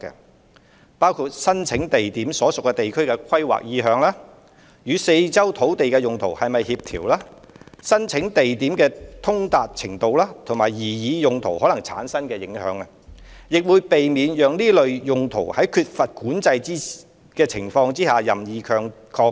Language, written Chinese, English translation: Cantonese, 相關的考慮因素包括申請地點所屬地區的規劃意向、與四周的土地用途是否協調、申請地點的通達程度，以及擬議用途可能產生的影響，亦會避免讓這類用途在缺乏管制的情況下任意擴張。, The factors for consideration include the planning intention of the land on which the site is located compatibility with surrounding land uses site accessibility possible impacts generated by the proposed uses . Efforts will also be made to prevent uncontrolled sprawl of such uses